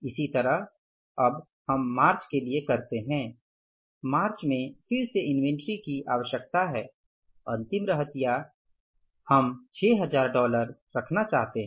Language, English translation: Hindi, March is again the inventory requirement, closing inventory we are going to keep is $6,000